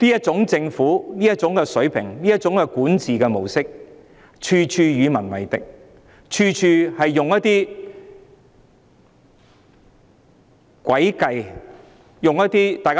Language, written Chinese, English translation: Cantonese, 政府這種水平、這種管治模式，處處與民為敵，處處使用一些詭計來達到目的。, The Government is of such a low level adopting such a mode of governance . It acts against the wishes of the people at every turn and attempts to achieve its goals by employing some devious tactics